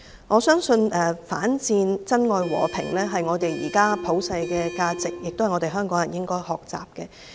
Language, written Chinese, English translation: Cantonese, 我相信反戰、珍愛和平是現時的普世價值，也是香港人應該學習的。, I believe opposing war and cherishing peace are the universal values nowadays which is worth learning by Hong Kong people